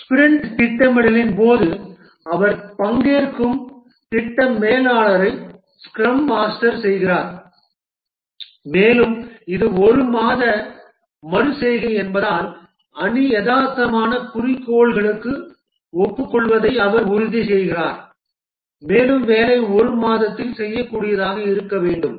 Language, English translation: Tamil, The scrum master, the project manager, he also participates during the sprint planning and ensures that the team agrees to realistic goals because it is a one month iteration and the work should be doable in roughly one month